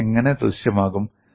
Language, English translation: Malayalam, How does this appear